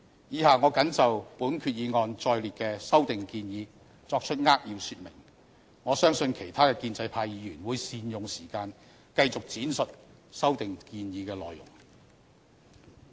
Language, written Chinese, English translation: Cantonese, 以下我謹就本決議案載列的修訂建議作出扼要說明，我相信其他建制派議員會善用時間繼續闡述修訂建議的內容。, Here below I will highlight the proposed amendments set out in this resolution . I believe other Members from the pro - establishment camp will make good use of the time to further explain the content of the proposed amendments